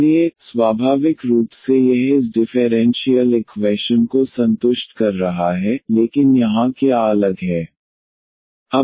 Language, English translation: Hindi, So, naturally it is satisfying this differential equation so, but what is the different here